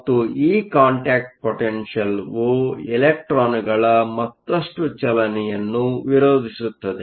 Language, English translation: Kannada, And this contact potential opposes further motion of electrons